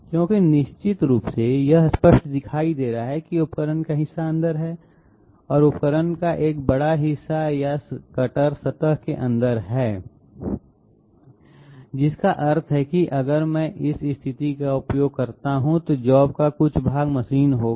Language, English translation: Hindi, Because obviously it is clearly visible that part of the tool is inside and quite a large portion of the tool or the cutter is inside the surface, which means that if I use this position, part of the job will be machined out